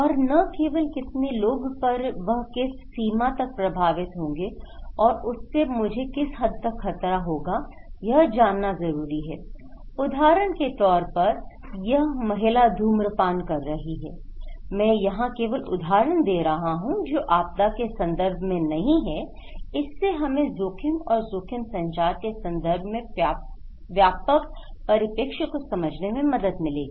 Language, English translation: Hindi, And not only how many or what extent but people want to know, that how that will hamper me okay, what extent that this will continue, like she may be smoking, well I am giving examples is not only in disaster context, it will help us to understand the broader perspective of understanding the risk and risk communication